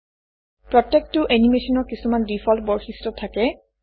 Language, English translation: Assamese, Each animation comes with certain default properties